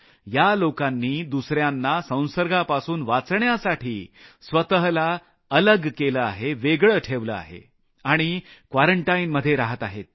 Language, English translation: Marathi, These people have isolated and quarantined themselves to protect other people from getting infected